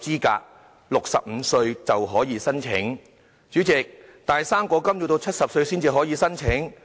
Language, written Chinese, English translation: Cantonese, 但是，代理主席，"生果金"卻要到70歲才可以申請。, But Deputy President he can only apply for fruit grant when he reaches 70